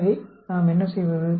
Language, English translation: Tamil, So, what do we do